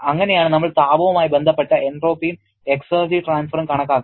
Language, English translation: Malayalam, That is how we calculate entropy and exergy transfer associated with heat